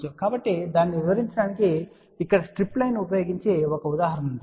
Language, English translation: Telugu, So just to illustrate that here is an example using strip line